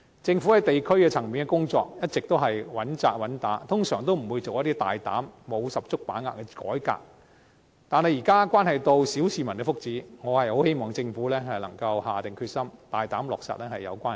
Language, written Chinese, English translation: Cantonese, 政府在地區層面的工作一直穩扎穩打，通常不會作出一些大膽、沒有十足把握的改革，但現在涉及小市民的福祉，我很希望政府能夠下定決心，大膽落實有關建議。, Usually it will not carry out any bold reform without full confidence . However now it is about the well - being of the petty masses . I very much hope that the Government can resolve to implement the relevant proposals boldly